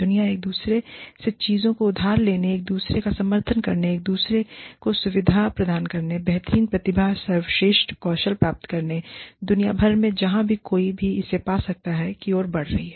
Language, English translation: Hindi, The world is moving towards, borrowing things from each other, supporting each other, facilitating each other, getting the best talent, the best skills, from all around the world, wherever one can find it